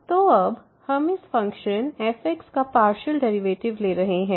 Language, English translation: Hindi, So, what we are now doing we are taking the partial derivatives of this function